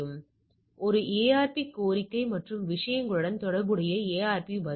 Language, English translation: Tamil, So, this is a ARP request and corresponding ARP response on the things